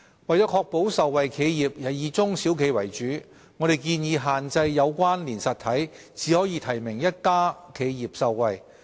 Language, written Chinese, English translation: Cantonese, 為確保受惠企業以中小企為主，我們建議限制"有關連實體"只可提名一家企業受惠。, To ensure that enterprises that will benefit are mainly small and medium enterprises SMEs we propose that among connected entities only one enterprise can be nominated to get the benefit